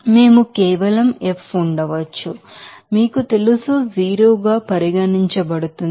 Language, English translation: Telugu, So, we can simply F can be, you know, regarded as you know 0